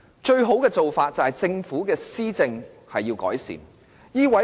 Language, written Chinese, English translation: Cantonese, 最好的做法，是政府可以改善施政。, The best course of action is for the Government to improve its administration